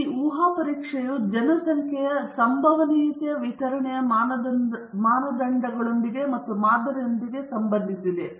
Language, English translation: Kannada, So, this hypothesis testing concerns with parameters of the probability distribution of the population and not with the sample